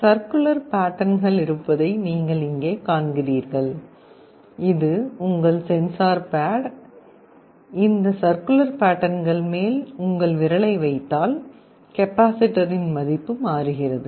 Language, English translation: Tamil, You see here there are circular patterns, this is your sensor pad; if you put your finger on top of this circular pattern area, the value of the capacitor changes